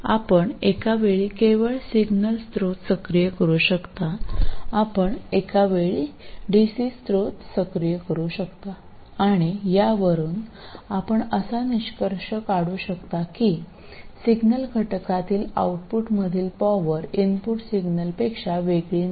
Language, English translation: Marathi, So you can activate only the signal source at a time, you can activate only the DC source at a time, and from this you will conclude that the power in the output at the signal component will be no different from if you have only the signal input